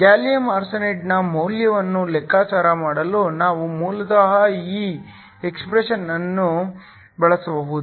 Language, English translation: Kannada, We can basically use this expression to calculate the value for gallium arsenide